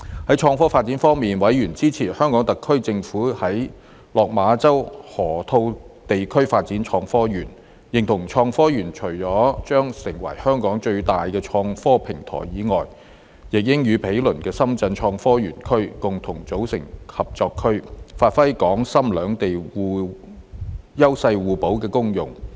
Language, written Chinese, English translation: Cantonese, 在創科發展方面，委員支持香港特區政府在落馬洲河套地區發展創科園，認同創科園除了將成為香港最大的創科平台以外，亦應與毗鄰的深圳科創園區共同組成合作區，發揮港深兩地優勢互補的功用。, On the development of innovation and technology IT members supported the HKSAR Governments development of the Hong Kong - Shenzhen Innovation and Technology Park in the Lok Ma Chau Loop and agreed that apart from becoming the largest IT platform in Hong Kong the Park together with the adjacent Shenzhen IT Zone should form a synergistic Co - operation Zone which would leverage the complementary advantages of both Hong Kong and Shenzhen